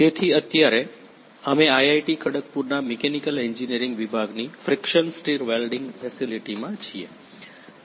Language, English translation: Gujarati, So, right now we are in the friction stir welding facility of the department of Mechanical Engineering at IIT Kharagpur